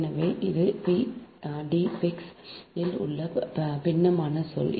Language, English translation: Tamil, so this term is coming into d phi x right is equal to your